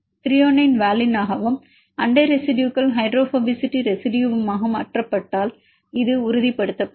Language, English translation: Tamil, If the Thr is mutated to valine and the neighboring residues hydrophobicity residue then this will stabilize